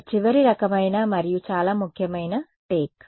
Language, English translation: Telugu, One final sort of and very important take is